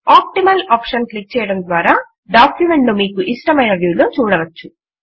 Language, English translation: Telugu, On clicking the Optimaloption you get the most favorable view of the document